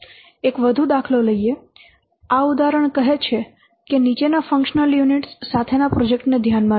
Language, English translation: Gujarati, This example said that consider a project with the following functional units